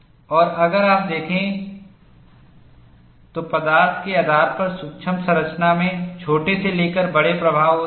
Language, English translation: Hindi, And if you look at, the micro structure has small to large influence depending on the material